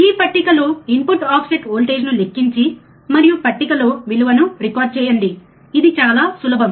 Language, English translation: Telugu, This is the table calculate input offset voltage and record the value in table, so easy right